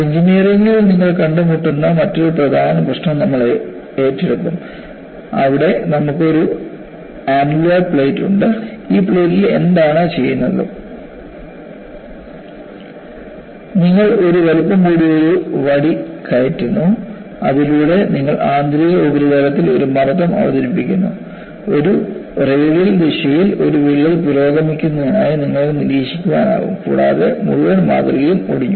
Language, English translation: Malayalam, We would take up another important problem, which you come across in engineering, where you have essentially an annular plate; and in this plate, what is done is, you insert a oversized rod, by that you are introducing a pressure on the inner surface, and what was observed was, you find a crack progressing in a radial direction and the whole specimen got fractured